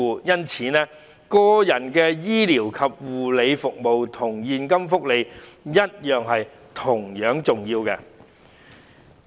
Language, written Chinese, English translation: Cantonese, 因此，個人醫療和護理服務與現金福利同樣重要。, Therefore it is equally important to provide personal medical and care services as well as cash benefits